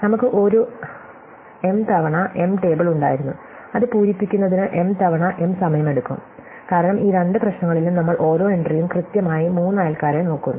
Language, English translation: Malayalam, We had an M times M table it takes M times M time to fill it up, because in those two problems we were filling up each entry looking at exactly three neighbors